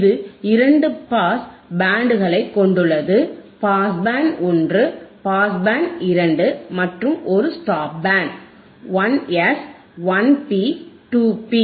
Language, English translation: Tamil, It has two pass bands, pass band one, pass band two and one stop band; stop band one 1 S, 1 P, 2 P